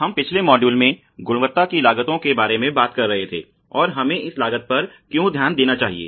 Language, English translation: Hindi, We were talking about costs of quality in the last module, and let us look at why costs